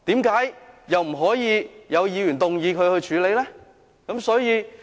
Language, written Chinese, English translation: Cantonese, 為何不可以有議員動議議案處理？, Why can a Member not move a motion to deal with it?